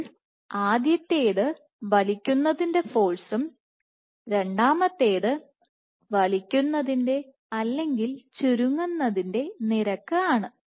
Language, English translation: Malayalam, So, in addition to pulling so, one is pulling force, second is pulling rate or rate of contraction